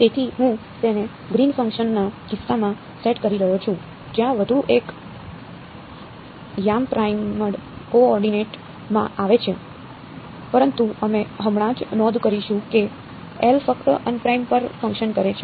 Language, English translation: Gujarati, So, I am setting it up for the case of the greens function where one more coordinate comes in the prime coordinate ok, but we will just make a note now that L acts on unprimed only